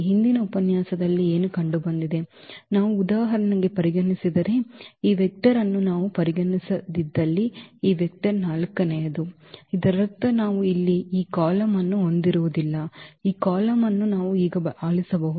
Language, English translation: Kannada, What was also seen in the previous lecture that, if we do not consider for example, this vector the fourth one if we do not consider this vector; that means, we will not have this column here, this column we can delete now